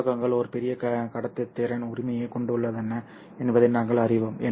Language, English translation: Tamil, We know that metals have a large conductivity